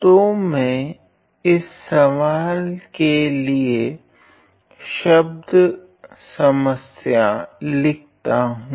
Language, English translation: Hindi, So, let me write down the word problem to this question